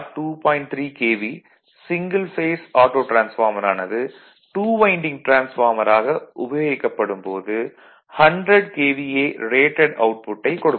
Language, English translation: Tamil, 3 KVA single phase auto transformer when used as 2 winding transformer has the rated output of 100 KVA